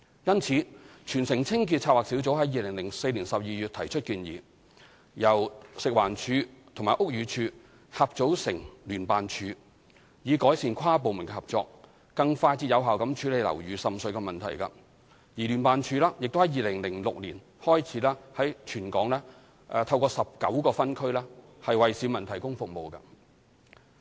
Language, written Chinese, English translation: Cantonese, 故此，全城清潔策劃小組於2004年12月提出建議，由食物環境衞生署及屋宇署合組成立聯辦處，以改善跨部門合作，更快捷有效地處理樓宇滲水問題；而聯辦處亦在2006年開始在全港透過19個分區為市民提供服務。, In view of this Team Clean initiated in December 2004 the setting up of JO by the Food and Environmental Hygiene Department FEHD and the Buildings Department BD to improve inter - departmental coordination and deal with building water seepage in a swift and effective manner . JO started to provide service to the public in 2006 through 19 districts in Hong Kong